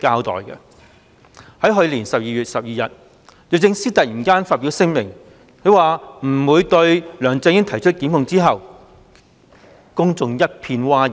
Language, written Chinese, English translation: Cantonese, 在去年12月12日，律政司司長突然發表聲明，表示不會對梁振英提出檢控後，公眾一片譁然。, The statement on not prosecuting LEUNG Chun - ying issued somewhat unexpectedly by the Secretary for Justice on 12 December last year has led to public uproar